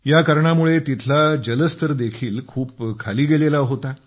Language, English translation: Marathi, Because of that, the water level there had terribly gone down